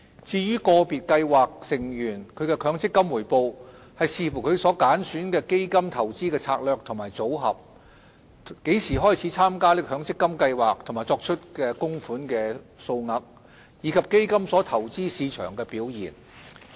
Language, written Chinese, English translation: Cantonese, 至於個別計劃成員的強積金回報，視乎他們揀選的基金投資策略和組合、何時開始參加強積金計劃和作出供款的數額，以及基金所投資市場的表現而定。, The MPF returns of individual scheme members depend on the fund investment strategies and portfolios chosen by them the timing of their participation in the schemes the amounts of contributions as well as the performance of the markets the funds invest in